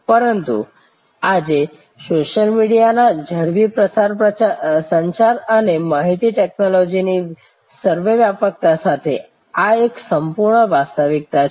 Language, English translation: Gujarati, But, today with the rapid proliferation of social media and ubiquitousness of communication and information technology, this is an absolute reality